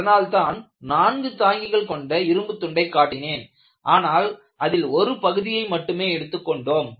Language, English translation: Tamil, That is why I have shown a beam with 4 point supports, butI have taken only a region